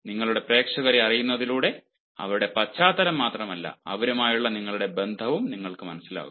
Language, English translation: Malayalam, and you will be able to understand not only their background, but you will also understand your relationship with them